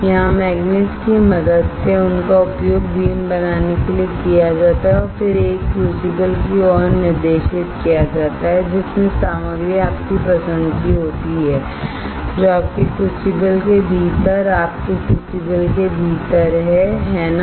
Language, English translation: Hindi, Here with the help of magnets these are used to form a beam and then a directed towards a crucible that contains the materials of material of interest is within your crucible within your crucible, right